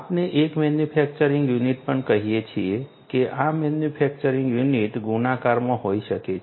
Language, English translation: Gujarati, We are also going to have let us say a manufacturing unit; these manufacturing units can be in multiples